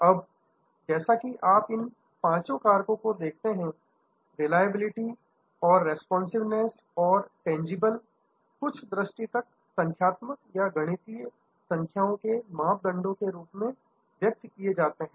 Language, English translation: Hindi, Now, as you see out these five factors, things like reliability or responsiveness or tangibles, these are somewhat a quantitative, expressible in numbers type of criteria